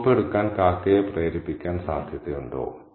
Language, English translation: Malayalam, Was it likely that the crow would be tempted enough to carry the soap off